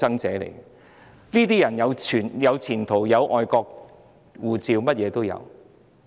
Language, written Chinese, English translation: Cantonese, 這些人有前途、有外國護照，甚麼也有。, Some people have good prospects foreign passports and everything